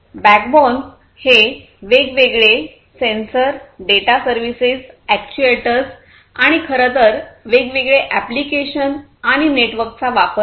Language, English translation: Marathi, The backbone is basically use of different sensors, data services, actuators and in fact, the different applications and the network right